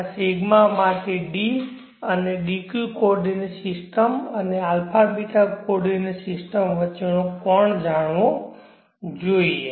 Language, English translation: Gujarati, the angle between the d and dq coordinate system and a beeta coordinate system should be known